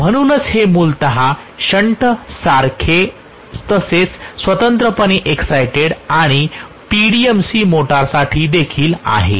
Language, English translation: Marathi, So this is essentially the characteristic for shunt as well as separately excited and also for PMDC motor